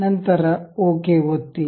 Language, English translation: Kannada, Then click ok